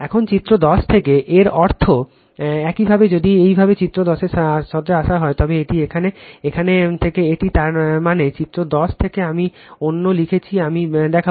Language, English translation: Bengali, And from figure 10, that means your if you come to figure 10 here it is, from here it is right; that means, from figure 10 one I am writing others I will show